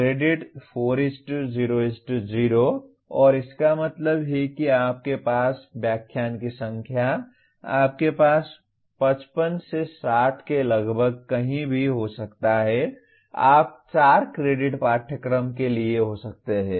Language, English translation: Hindi, Credits 4:0:0 and that means the number of lectures that you will have you have anywhere from 55 to 60 almost you can have for a 4 credit course